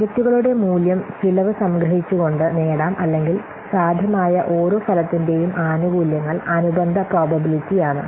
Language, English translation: Malayalam, So the value of the project is then obtained by summing the cost or benefit for each possible outcome weighted by its corresponding probability